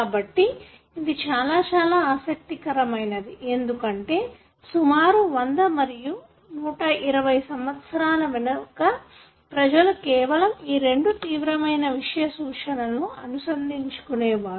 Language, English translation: Telugu, So, this is something very, very interesting, because classically about 100 and 120 years back people only were able to link these two extreme sets